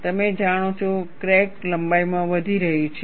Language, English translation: Gujarati, You know, the crack is growing in length